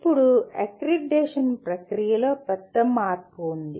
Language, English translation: Telugu, Now the major change is in the process of accreditation